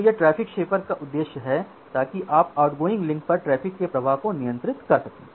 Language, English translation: Hindi, So, that is the objective of the traffic shaper so, that you can regulate the flow of traffic over the outgoing link